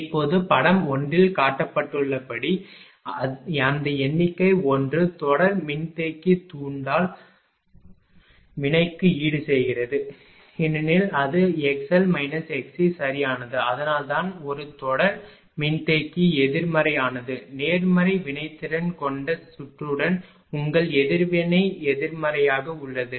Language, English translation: Tamil, Now, therefore, as shown in figure one I told you that those figure one is series capacitor compensates for inductive reactant because it is x l minus x c right; that is why is compensating in other words a series capacitor is a negative your reactance in series with the circuit with positive react